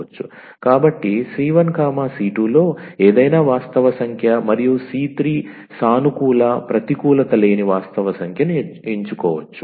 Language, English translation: Telugu, So, c 1 c 2 any real number and the c 3 is a positive, a non negative real number